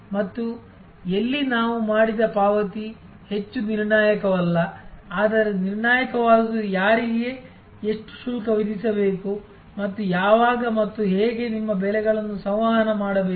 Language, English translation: Kannada, And when should the payment we made where these are more no so critical, but what is critical is how much to charge whom and when and how do you communicate your prices